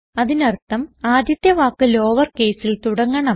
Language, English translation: Malayalam, Which means that the first word should begin with a lower case